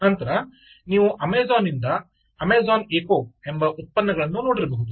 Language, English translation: Kannada, then you have products from amazon called amazon echo, which is from amazon